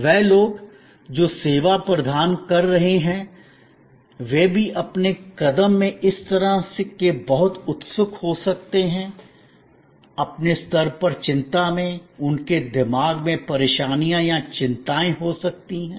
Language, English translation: Hindi, The people, who are providing the service they may also have such very anxious in their move, in their level of anxiety, at the back of their mind there can be botherations or worries